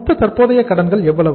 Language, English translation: Tamil, Total current liabilities are how much